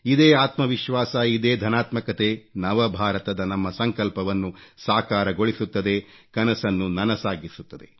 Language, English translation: Kannada, This self confidence, this very positivity will by a catalyst in realising our resolve of New India, of making our dream come true